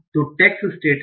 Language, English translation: Hindi, So the tags are the states